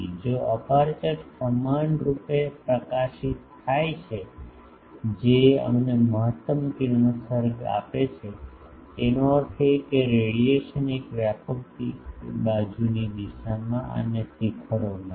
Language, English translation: Gujarati, If an aperture is illuminated uniformly that gives us the maximum radiation; that means, the radiation is in the broad side direction and peaks